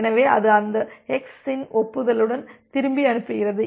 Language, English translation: Tamil, So, it sends back with an acknowledgment of that x